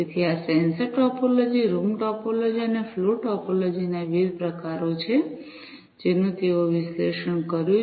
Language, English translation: Gujarati, So, these are the different types of sensor topology, room topology, and flow topology, that they have analyzed